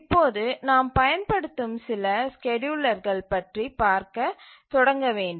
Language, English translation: Tamil, So, now we will start looking at some of the schedulers that are being used